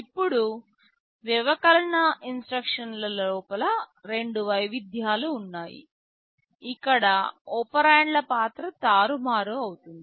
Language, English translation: Telugu, Now, there are two variation of the subtract instructions, where the role of the operands are reversed